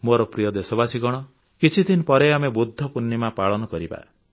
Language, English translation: Odia, My dear countrymen, a few days from now, we shall celebrate Budha Purnima